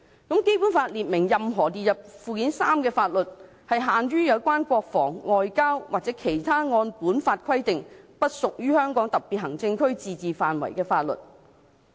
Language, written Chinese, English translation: Cantonese, "《基本法》亦列明，"任何列入附件三的法律，限於有關國防、外交和其他按本法規定不屬於香港特別行政區自治範圍的法律。, The Basic Law also provides that [l]aws listed in Annex III to this Law shall be confined to those relating to defence and foreign affairs as well as other matters outside the limits of the autonomy of the Region as specified by this Law